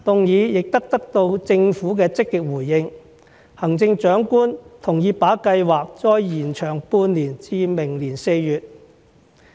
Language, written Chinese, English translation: Cantonese, 議案亦得到政府積極回應，行政長官同意把計劃再延長半年至明年4月。, The Government responded positively to the motion . The Chief Executive agreed to extend the Scheme for another six months until April next year